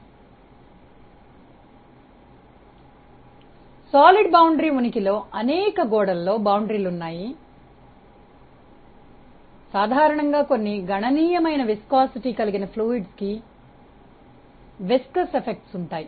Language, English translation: Telugu, Presence of a solid boundary is there in many wall bounded flows and viscous effects are common for fluids with some substantial viscosity